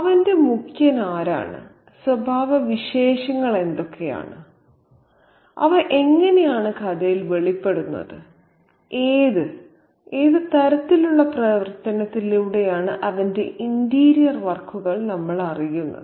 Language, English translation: Malayalam, So, what are his chief, you know, characteristics and how are they revealed in the story through what sort of action do we get to know his interior workings